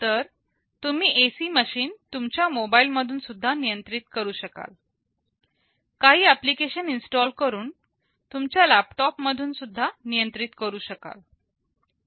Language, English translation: Marathi, So, you can control the AC machine even from your mobile phone, even from your laptops by installing some apps